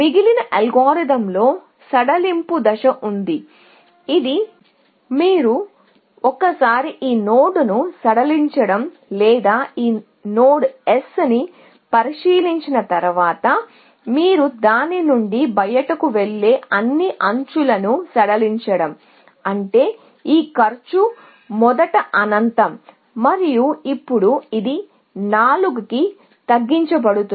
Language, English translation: Telugu, So, there is a stage of relaxation in the rest of the algorithm, which says that once you relax this node, or once you inspect this node S, you relax all edges going out of that, which means this cost originally was infinity, and now, it is reduced to 4